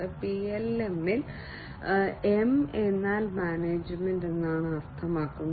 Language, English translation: Malayalam, M in PLM means management